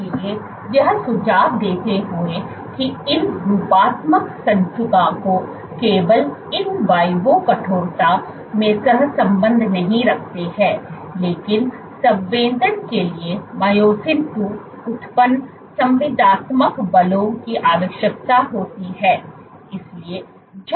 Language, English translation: Hindi, So, suggesting that these morphological indices, they have not only correlate with in vivo stiffness, but require myosin two generated contractile forces for sensing